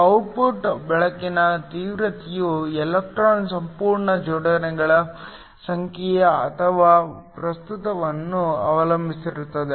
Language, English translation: Kannada, The intensity of the output light depends upon the number of electron whole pairs or the current